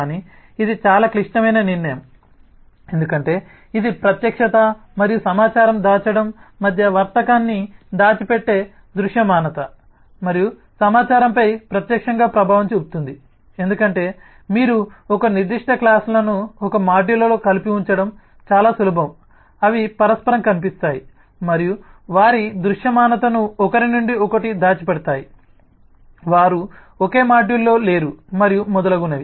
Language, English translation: Telugu, but this is a very critical decision to make because this will directly have an impact on the visibility and information hiding the trade off between visibility and information hiding because if you put certain classes together in to one module, then it is much easier to make them mutually visible and hide all of their visibility from someone who is not in the same module, and so on and so forth